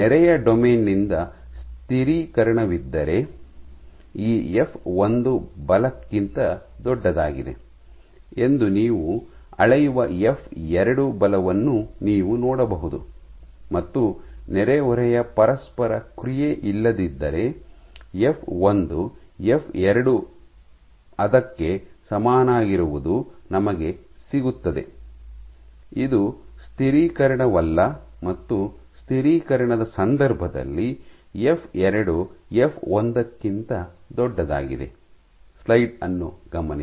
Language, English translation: Kannada, So, if there is a stabilization by neighbouring domain, you might see the f 2 force that you measure to be greater than this f 1 force, versus if there is no neighbouring interaction then both f 1 equal to f 2 is what we will get, this is no stabilization and f 2 greater than f 1 in the case of stabilization ok